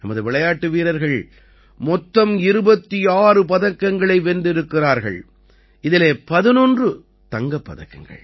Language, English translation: Tamil, Our players won 26 medals in all, out of which 11 were Gold Medals